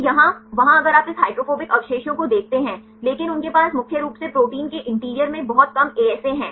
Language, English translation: Hindi, So, here in there if you see this hydrophobic residues but they have very less ASA there mainly in the interior of the protein